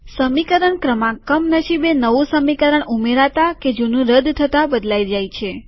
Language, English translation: Gujarati, The equation numbers unfortunately may change while insertion or deletion of equations